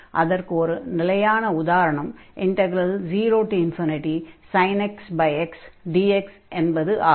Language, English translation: Tamil, So, we take this absolute value sin x over x dx